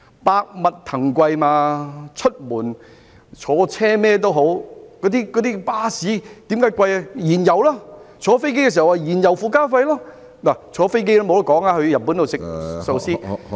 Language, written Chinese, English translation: Cantonese, 百物騰貴，出門在外，巴士車資昂貴的原因就是燃油；而乘坐飛機亦要支付燃油附加費，乘坐飛機到日本吃壽司也......, When we leave home and travel by bus the bus fare is expensive because of the auto - fuels . When we take an aeroplane flight we need to pay the fuel surcharge . When you go to Japan to eat sushi by air